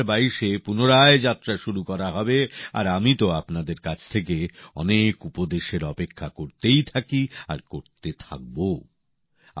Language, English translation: Bengali, We will start the journey again in 2022 and yes, I keep expecting a lot of suggestions from you and will keep doing so